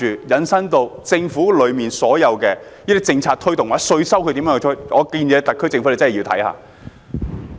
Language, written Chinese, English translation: Cantonese, 引申下來，就政府如何推動所有政策或徵稅，我建議特區政府認真看看。, By the same token I suggest that the SAR Government should take a serious look at how to drive forward all the policies or taxation efforts